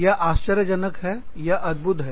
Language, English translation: Hindi, It is amazing